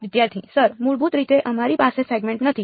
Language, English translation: Gujarati, Sir basically that we have not part segment